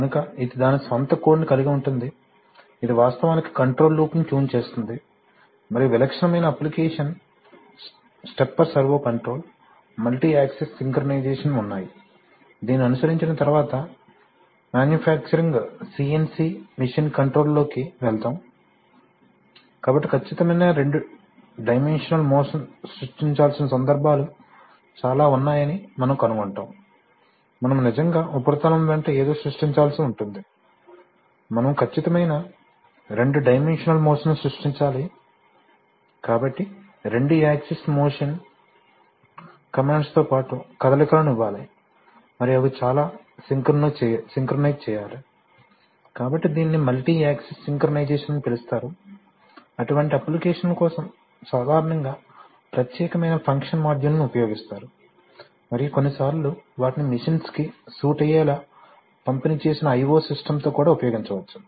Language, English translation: Telugu, So it will, it has its own code it will actually tune a control loop and typical application would be stepper servo control, multi axis synchronization, as we have, we will see after just following this, we will go into the manufacturing CNC machine control, so we will find that there are, there are many cases where a precise two dimensional motion has to be created, suppose we are, you are actually cutting something along a surface, you have to create precise two dimensional motion, so you have to give motions along two axis motion commands and they have to be very synchronized, so that is called multi axis synchronization, for such applications typically you use function modules, specialized function modules and sometimes there they could be also used with distributed i/o systems to be situated on the machines themselves